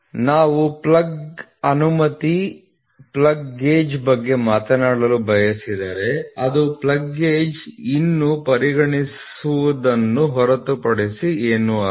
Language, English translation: Kannada, So, if we want to talk about plug allowance plug gauge, which is nothing but for consider plug gauge